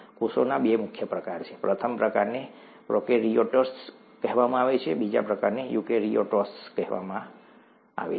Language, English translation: Gujarati, There are two major types of cells; first type is called prokaryotes, the second type is called eukaryotes